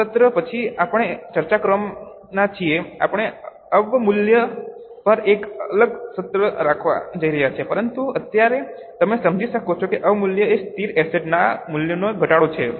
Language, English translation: Gujarati, After this session, we are going to discuss, we are going to have a separate session on depreciation, but as of now, you can understand that depreciation is a fall in the value of fixed assets